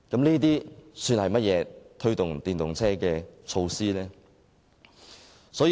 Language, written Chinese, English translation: Cantonese, 這算是甚麼推動電動車的措施呢？, How can it possibly be regarded as a measure for promoting EVs?